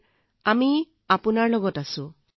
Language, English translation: Assamese, Sir we are with you